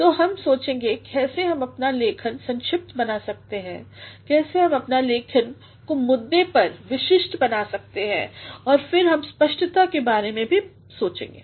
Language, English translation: Hindi, So, we shall be thinking of how we can make our writing brief, how we can make our writing to the point, specific and then we shall also be thinking about clarity